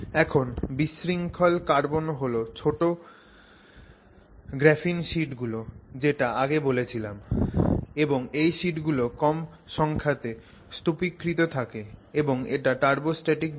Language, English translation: Bengali, Now amongst the disordered carbons as I said, disordered carbon means the graphene sheets are small and less number of sheets stacked and turbostatic disorder